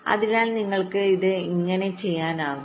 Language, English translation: Malayalam, so how you can do this